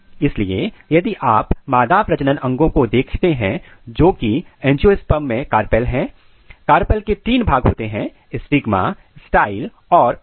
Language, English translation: Hindi, So, if you look the female reproductive organ which is carpel in angiosperm, the carpel has three regions the stigma, style and ovary